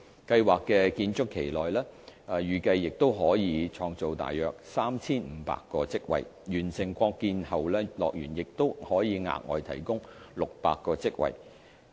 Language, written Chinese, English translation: Cantonese, 計劃的建築期內預計可創造大約 3,500 個職位，完成擴建後樂園亦可額外提供600個職位。, The plan is also expected to create around 3 500 jobs during the construction stage and another 600 jobs at HKDL upon completion